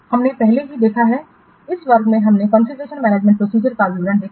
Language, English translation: Hindi, We have already seen in this class we have seen the details of configuration management process